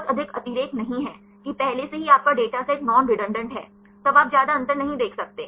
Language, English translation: Hindi, There is not much redundancy, that already your data set is non redundant; then you cannot see much difference